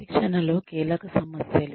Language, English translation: Telugu, Key issues in training